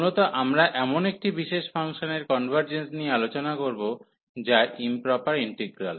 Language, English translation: Bengali, So, mainly we will be discussing again the convergence of such a special functions which are improper integrals